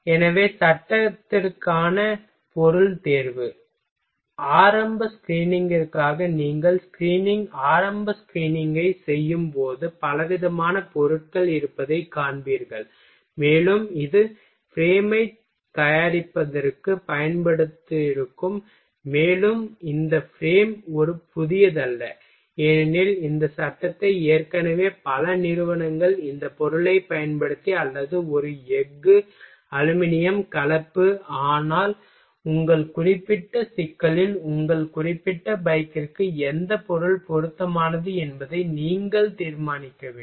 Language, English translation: Tamil, So, material selection for frame; so for initial screening, when you will do screening initial screening you will find that there are variety of materials and it will have used for fabrication of frame and this frame is not a new because lot of companies already fabricating this frame using either this material or a steel, aluminum, composite, but in your particular problem you have to decide which material will be appropriate for your particular bike ok